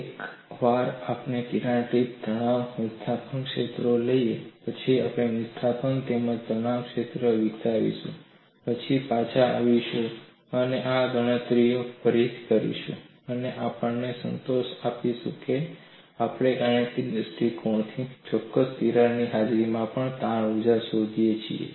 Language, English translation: Gujarati, Once we take a crack tip stress and displacement fields, we would develop displacement as well as stress field then come back and do these calculations again, and satisfy our self that, we could find out the strain energy in the presence of crack, from a mathematical stand point accurately